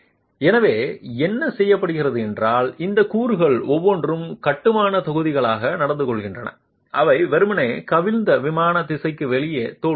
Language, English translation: Tamil, So, what is done is that each of these elements are behaving as rigid blocks that can simply overturn and fail in the out of plane direction